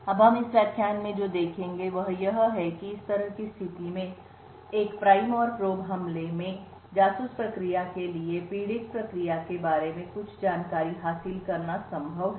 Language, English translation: Hindi, Now what we will see in this lecture is that in a prime and probe attack in situation such as this it is possible for the spy process to gain some information about the victim process